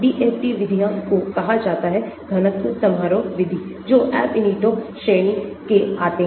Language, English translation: Hindi, DFT are called density function methods which come under the Ab initio category